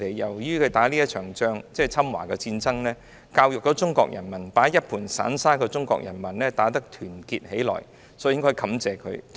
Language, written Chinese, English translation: Cantonese, 正是你們打了這一仗，教育了中國人民，把一盤散沙的中國人民打得團結起來了，所以我們應該感謝你們。, Precisely because you fought this war you taught the Chinese people who had been like a sheet of loose sand to unite so we must thank you